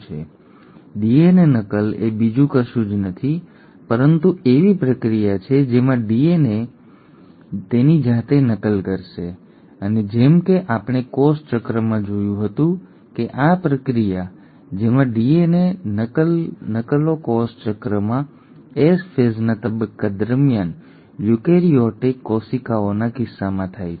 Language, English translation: Gujarati, Well, DNA replication is nothing but a process in which a DNA will copy itself and as we had seen in cell cycle this process wherein a DNA copies itself happens in case of eukaryotic cells during the stage of S phase in cell cycle